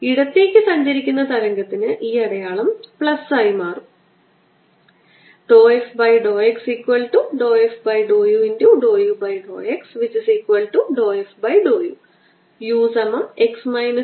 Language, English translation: Malayalam, for the wave which is traveling to the left, this sign will become plus